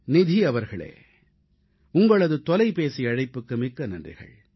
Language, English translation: Tamil, Nidhi ji, many thanks for your phone call